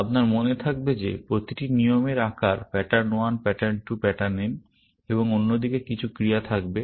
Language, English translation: Bengali, If you remember that each rule is of the form pattern 1, pattern 2, pattern n, and some actions on the other side